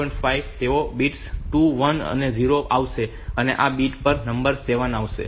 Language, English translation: Gujarati, 5 they will come to the bits 2 1 and 0, then this bit number 7